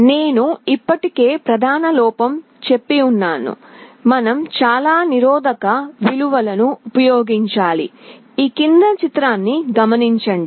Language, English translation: Telugu, The main drawback I already mentioned, you need to use so many resistance values